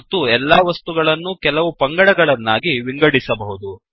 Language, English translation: Kannada, And all the objects can be categorized into special groups